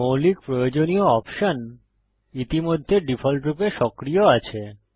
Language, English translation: Bengali, The basic required options are already activated by default